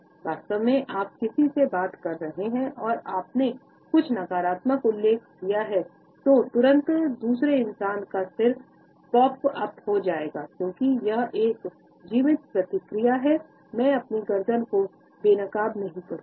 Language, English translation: Hindi, In fact, you can be talking to someone and you mentioned something negative and immediately their head will pop up, because it is a survival response that I will not expose my neck